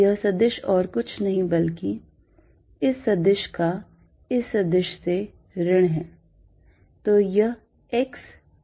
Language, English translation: Hindi, This vector is nothing but this vector minus this vector